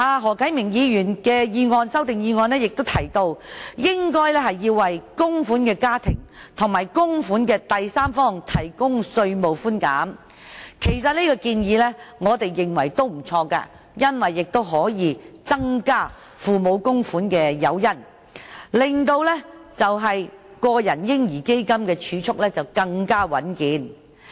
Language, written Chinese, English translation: Cantonese, 何啟明議員的修正案提出應該為供款家庭和供款的第三方提供稅務寬減，我們認為這建議也不錯，因為可以增加父母供款的誘因，令個人"嬰兒基金"的儲蓄更為穩健。, Mr HO Kai - ming proposed in this amendment that tax deduction be provided for families and third parties making contributions . We think this is not a bad idea because it can provide an additional incentive for parents to make contributions and thus make the savings in the personal baby fund even more stable